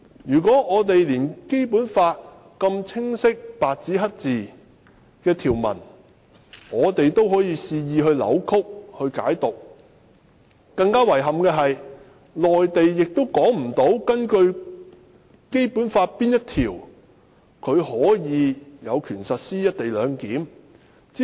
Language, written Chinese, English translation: Cantonese, 不過，我們連《基本法》內白紙黑字清楚訂明的條文也肆意扭曲及解讀，甚至更遺憾的是，連內地亦無法指出是根據《基本法》哪一項條文有權在香港實施"一地兩檢"。, However we have wantonly distorted and interpreted provisions clearly laid down in black and white in the Basic Law . More regrettably even the Mainland authorities failed to point out which provision of the Basic Law provides for the implementation of the co - location arrangement in Hong Kong